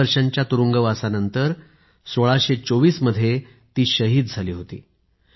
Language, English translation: Marathi, In 1624 after ten years of imprisonment she was martyred